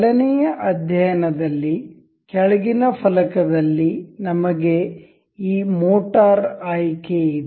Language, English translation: Kannada, The in motion study, in the you know bottom pane, we have this motor option